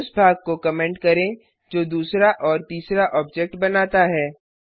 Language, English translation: Hindi, Then Comment the part which creates the second and third objects